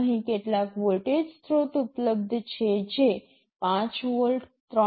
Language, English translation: Gujarati, There are some voltage sources available 5 volts, 3